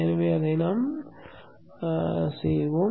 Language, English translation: Tamil, So we will place that there